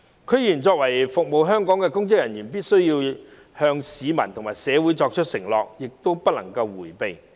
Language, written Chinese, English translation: Cantonese, 區議員作為服務香港的公職人員，必須向市民和社會作出承諾，亦不能迴避。, These are the requirements the public hope to see . As public officers serving Hong Kong DC members must make a commitment to the people and the community and must not evade their duty